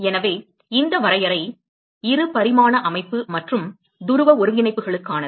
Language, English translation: Tamil, So, this definition is for 2 dimensional system and polar coordinates